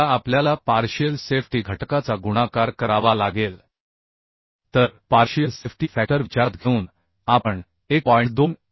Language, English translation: Marathi, 3 b square Now we have to multiply the partial safety factor so taking the partial safety factor into consideration we can consider 1